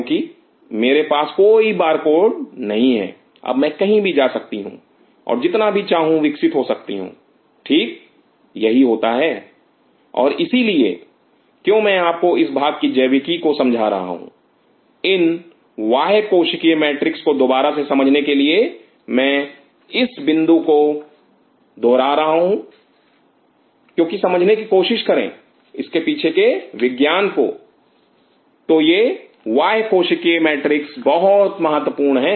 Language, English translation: Hindi, Because I do not have any barcode now I can go anywhere and as much as I can grow, this is precisely what happens and that is why I am telling you understanding this part of the biology of understanding this extra cellular matrix extra again I am reiterating this point because try to understand the science behind its extra cellular matrix is so, so very important